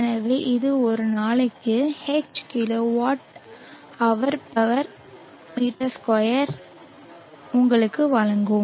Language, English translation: Tamil, So this will give you H kw/m2 per day